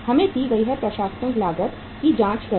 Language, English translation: Hindi, Let us check the administrative cost given